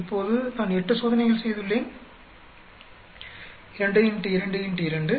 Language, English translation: Tamil, Now, totally I have done 8 experiments 2 into 2 into 2